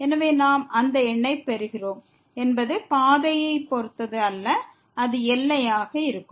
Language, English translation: Tamil, So, then whatever number we get that does not depend on the path and that will be the limit